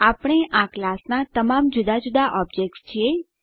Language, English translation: Gujarati, We are all different objects of this class